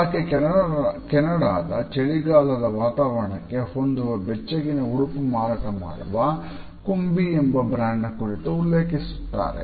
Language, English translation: Kannada, She has referred to the brand of Kombi which sells a warm winter clothing suitable for the Canadian climate